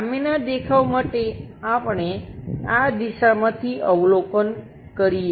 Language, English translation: Gujarati, On the front view, we would like to observe it in this direction